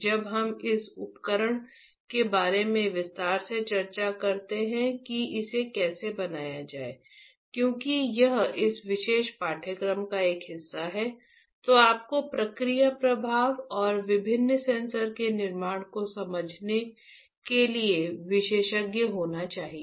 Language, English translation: Hindi, When we discuss this device in detail how to fabricate it, because that is a part of this particular course, you should be expert in understanding the process flow and the recipe and the fabrication of different sensors alright